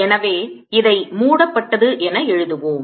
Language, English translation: Tamil, so let's write this: enclosed